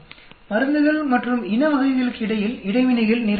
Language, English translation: Tamil, Interactions can happen quite a lot between drugs and type of race